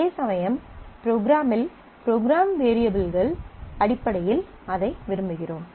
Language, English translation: Tamil, Whereas, when I want it in the program I want it in terms of program variables